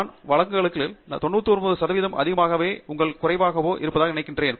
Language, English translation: Tamil, I think that is more or less common in 99 percent of the cases